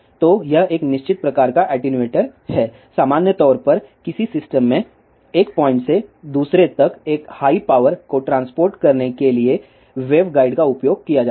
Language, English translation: Hindi, So, this is a fixed type of attenuator, in general, the wave guides are used to transport a high power from one point to another in a system